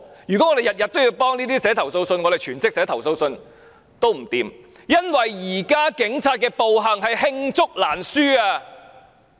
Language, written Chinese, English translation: Cantonese, 如果我們每天也就這種事寫投訴信，全職寫投訴信也寫不完，因為現時警員的暴行是罄竹難書。, If we have to write complaint letters about such matters every day we cannot finish it even if we work on a full - time basis since the brutal acts of police officers nowadays are too numerous to name